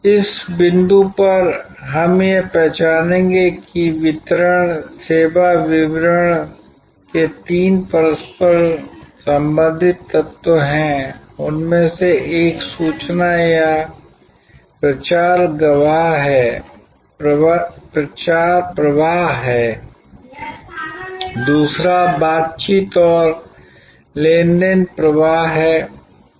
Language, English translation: Hindi, At this point we will recognize that there are three interrelated elements of distribution, service distribution, one of them is information or promotion flow, the second is negotiation and transaction flow